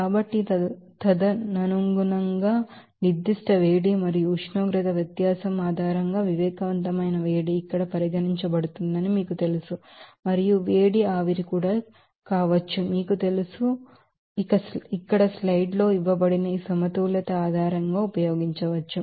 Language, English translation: Telugu, So, accordingly you can get to these you know that sensible heat based on the specific heat and the temperature difference also a heat fusion also can be you know considered here and also heat vaporization can be, you know calculated or can be, you know, used based on this balance here given in the slide